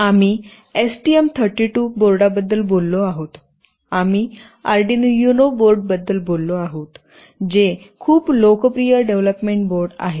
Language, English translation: Marathi, We have talked about the STM32 board, we have talked about the Arduino UNO board that are very popular development boards